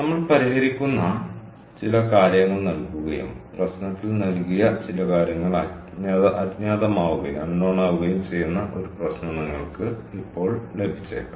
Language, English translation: Malayalam, we have to solve a problem where some of the things that we solve for are given and some of the things that was ah given in the problem is unknown